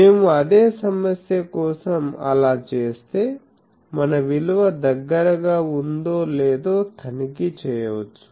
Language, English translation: Telugu, So, if we do that for the same problem, then we can check whether our that value is near